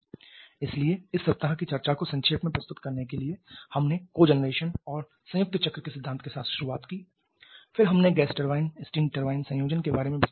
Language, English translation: Hindi, So, to summarize the discussion of this week we started with the principle of cogeneration and combined cycle then we discussed in detail about the gas turbine steam turbine combination